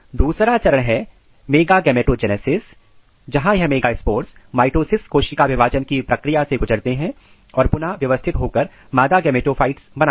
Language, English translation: Hindi, Then another stage is megagametogenesis where this megaspores undergo the process of mitosis cell division and rearrangement to generate a female gametophyte